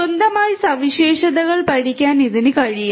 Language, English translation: Malayalam, On its own, it is able to learn the features